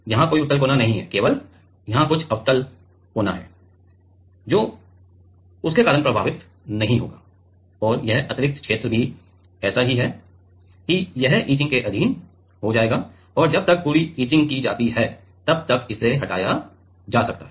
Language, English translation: Hindi, There does not exist any convex corner only here is some concave corner which will not be effected because of that and this extra region is also such that it will go under etching and it will it can get removed by the time the complete etching is done